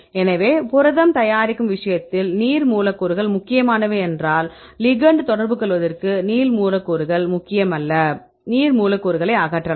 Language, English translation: Tamil, So, we if the water molecules are important; we keep the water molecule if the water molecules are not important for the ligand to interact, then this case we can remove the water molecules